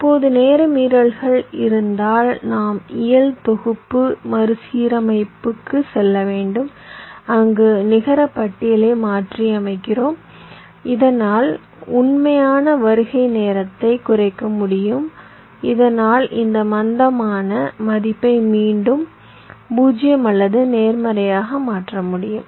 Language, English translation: Tamil, now, if there is a timing violation, then we have to go for physical synthesis, restructuring, where we modify the netlist so that the actual arrival time can be reduced, so that this slack value can be again made zero or positive